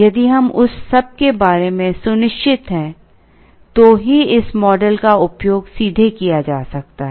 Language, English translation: Hindi, If we sure about all of that, only then this model can be used straight away